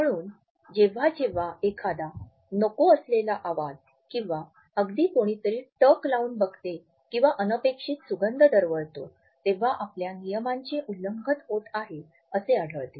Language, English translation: Marathi, So, we find that whenever there is an unwelcome sound or even a stare or a scent we find that we are being violated in a space which is accursing to us